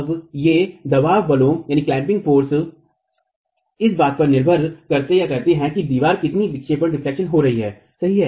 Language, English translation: Hindi, Now, these clamping forces, depending on how much the wall is deflecting, starts increasing